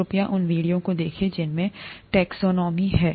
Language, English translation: Hindi, Please look at those videos, on ‘Taxonomy’